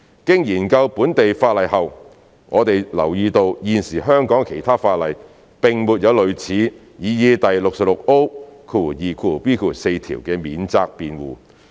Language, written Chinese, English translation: Cantonese, 經研究本地法例後，我們留意到現時香港的其他法例並沒有類似擬議第 66O2b 條的免責辯護。, Having examined the local legislation it is noted that there is no defence similar to the proposed section 66O2biv in other existing legislation in Hong Kong